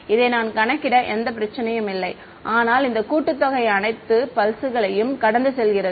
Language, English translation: Tamil, No problem I calculate this, but this summation goes over all the pulses